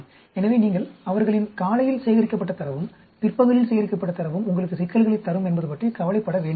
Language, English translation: Tamil, So, you do not have to worry their morning data collected and afternoon data collected is going to give you problems